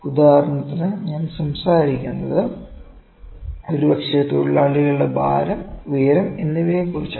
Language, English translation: Malayalam, For instance I am talking about the weight and height of maybe workers